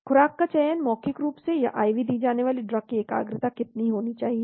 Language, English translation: Hindi, dose selection , how much should be the concentration of the drug to be given orally or IV